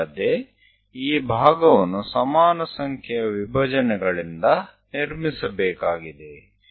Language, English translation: Kannada, And this part one has to construct by division of equal number of things